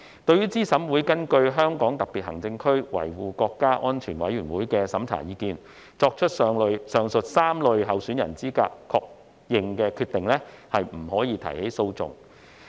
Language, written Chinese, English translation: Cantonese, 對資審會根據香港特別行政區維護國家安全委員會的審查意見書，作出上述3類候選人資格確認的決定，不得提起訴訟。, No legal proceedings may be instituted in respect of a decision made by CERC on the eligibility of the aforesaid three types of candidates pursuant to the opinion of the Committee for Safeguarding National Security of HKSAR